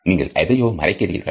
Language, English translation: Tamil, You are hiding something